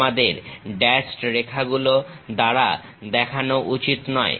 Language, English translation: Bengali, We should not represent that by dashed lines